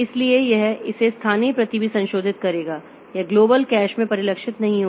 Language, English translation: Hindi, So, this fellow will also modify its local copy so it is not getting reflected in the global cash